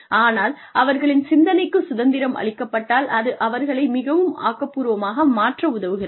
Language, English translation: Tamil, But, the fact they are given freedom of thought, helps them become more creative